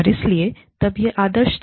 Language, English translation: Hindi, And so, that was the norm